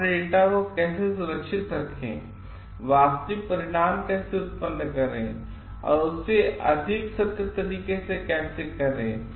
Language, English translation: Hindi, So, how to safeguard your data, how to produce actual results and how to be doing it in a more truthful way